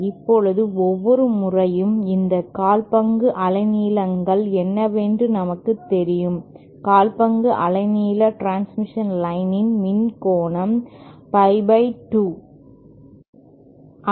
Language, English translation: Tamil, Now everytime, what these quarter wavelengths, as we know total electrical angle of a quarter wavelength transmission line is pie by 2